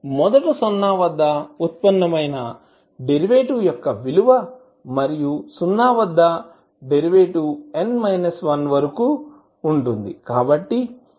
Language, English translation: Telugu, The value of derivative that is first derivative at zero and so on up to the value of derivative n minus 1 at derivative at zero